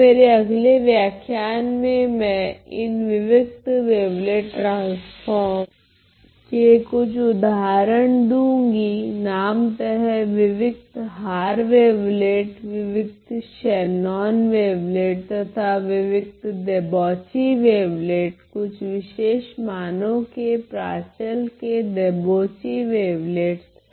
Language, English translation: Hindi, So, next in my in my next lecture I am going to give certain examples of these discrete wavelet transforms, namely the discrete Haar wavelet, the discrete Shannon wavelet and the discrete Debauchee wavelets for certain values of the parameter of the debauchee wavelets